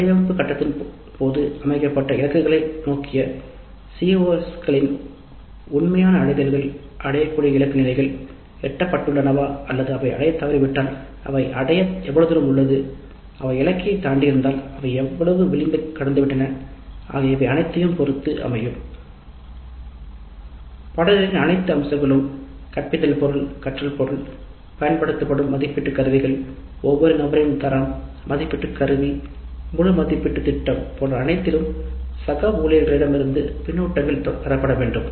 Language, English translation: Tamil, then the actual levels of attainment of the CBOs vis a vis the targets which have been set during the design phase and whether the attainment levels have reached the target levels or if they have failed to reach by how much margin they have failed to reach and if they have exceeded the target levels by how much margin they have exceeded the target levels then feedback from the peers on all aspects of the course the teaching material the learning material the assessment instruments used the quality of each individual assessment instrument the entire plan, and all these aspects we can get feedback from the peers